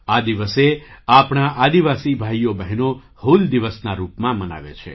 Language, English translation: Gujarati, Our tribal brothers and sisters celebrate this day as ‘Hool Diwas’